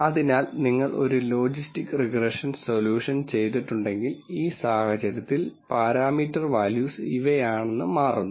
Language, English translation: Malayalam, So, if you did a logistics regression solution, then in this case it turns out that the parameter values are these